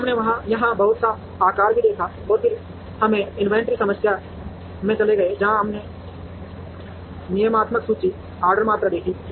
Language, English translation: Hindi, Then we also saw a little bit of lot sizing here, and then we moved to inventory problems, where we saw deterministic inventory, order quantities